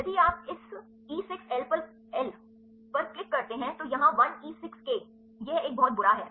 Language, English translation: Hindi, If you click on this one E 6 L here a 1 E 6 k it is a pretty bady